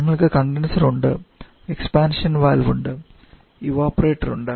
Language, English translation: Malayalam, We are the expansion valve and evaporator